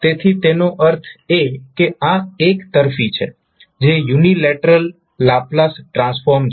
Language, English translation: Gujarati, So that means that it is one sided that is unilateral Laplace transform